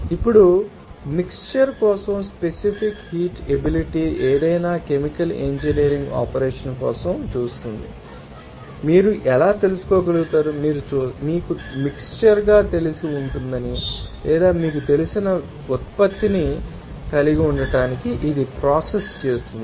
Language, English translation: Telugu, Now, how you can get you know that specific heat capacity for a mixture will see for any chemical engineering operation you will see there are several components will be you know mixed or it is actually processing to have certain you know product